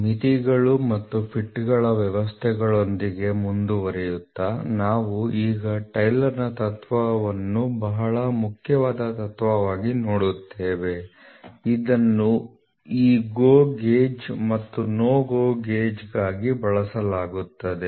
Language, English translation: Kannada, Continuing with systems of Limits and Fits; so, we will now look at Taylor’s principle which is a very important principle, which is used for this GO gauge and NO GO gauge; GO gauge NO GO gauge these gauges are indicator gauges